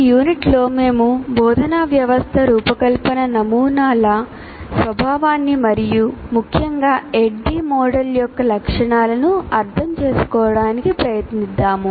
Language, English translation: Telugu, Now in this unit, we try to understand the nature of instructional system design models and particularly features of ADI model